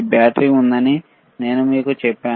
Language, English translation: Telugu, I told you there is a there is a battery, right